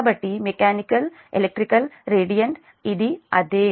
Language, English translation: Telugu, so mechanical, electrical and radiant it is same